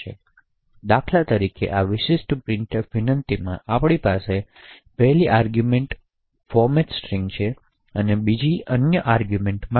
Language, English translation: Gujarati, For example, in this particular printf invocation we have 2 arguments one for the format string and the other for the argument